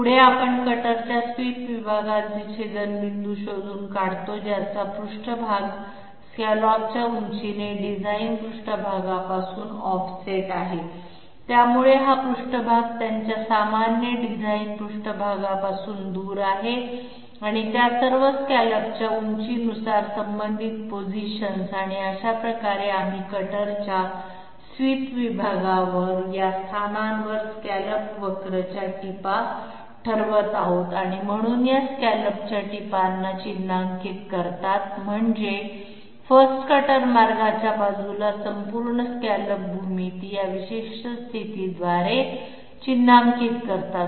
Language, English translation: Marathi, Next we find out the intersections of the swept sections of the cutter with a surface offset from the design surface by the scallop height, so this surface is away from the design surface normal to it and all those respective positions by the scallop height and this way we are determining the tips of the scallop curve at the at these locations on the swept sections of the cutter, so these mark the tips of the scallop I mean the whole scallop geometry all through these particular position by the side of the 1st cutter path